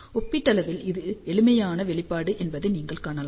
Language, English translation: Tamil, So, you can see that this is relatively simpler expression